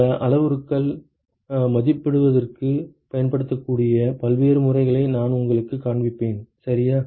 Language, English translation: Tamil, And I will show you different methods that can be used for estimating these parameters ok